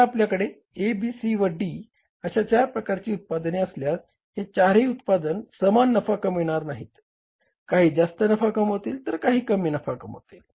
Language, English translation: Marathi, Now, if you have the four products, A, B, C and D, all the four products may not be equally profitable